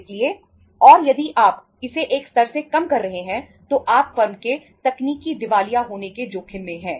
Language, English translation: Hindi, So and if you are reducing it below a level you are into the risk of the technical insolvency of the firm